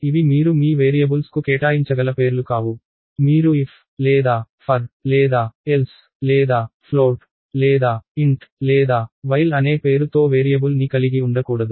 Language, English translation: Telugu, So, these are not names that you can assign to your variables, you cannot have a variable by name ‘if or for or else or float or int or while’ and so, on